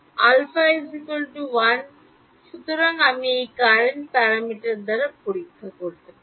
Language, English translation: Bengali, Alpha is 1 thing right; so, I can check it by courant parameter